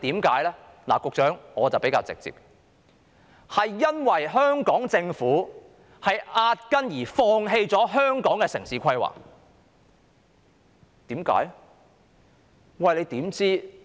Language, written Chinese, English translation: Cantonese, 局長，我說得比較直接，這是因為香港政府壓根兒放棄了香港的城市規劃，為甚麼呢？, Secretary to put it bluntly this is because the Hong Kong Government has simply given up urban planning for Hong Kong . Why?